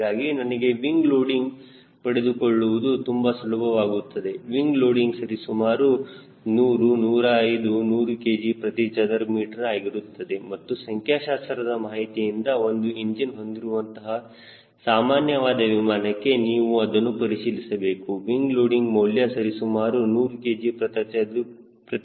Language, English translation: Kannada, wing loading will be around hundred hundred and five hundred and ten kg per meter square and then you can check from the statistical data for general aviation single engine aircraft the wing loading will be around hundred kg per meter square